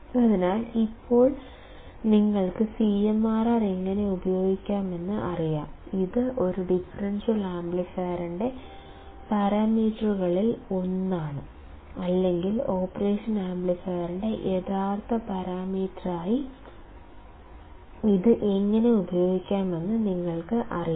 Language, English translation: Malayalam, So, now you guys know how to use CMRR, you guys will also know how to use this as the parameter this is one of the parameters of a differential amplifier or the realistic parameter of operational amplifier